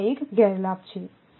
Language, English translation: Gujarati, So, this is one disadvantage